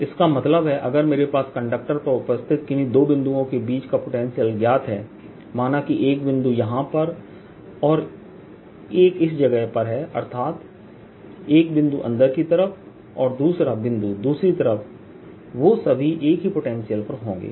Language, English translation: Hindi, that means if i have this conductor potential at any two points take this point here, this point here, point inside a point on the other side there will always have the same potential